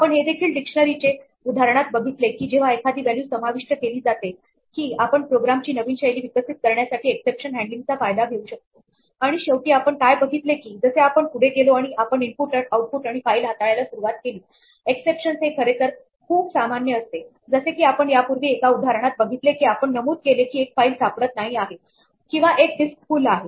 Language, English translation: Marathi, We also saw with that inserting a value into a dictionary example that we can exploit exception handling to develop new styles of programming and finally, what we will see is that, as we go ahead and we start dealing with input output and files exceptions will be rather more common as we saw earlier one of the examples we mentioned was a file is not found or a disk is full